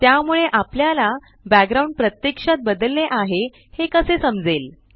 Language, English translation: Marathi, So how do we know that the background has actually changed